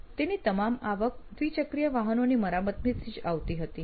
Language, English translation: Gujarati, And all his revenue actually came from the servicing of two wheelers